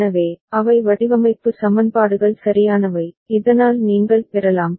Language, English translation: Tamil, So, those are the design equations right, so that you can get